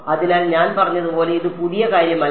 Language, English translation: Malayalam, So, like I said this is nothing new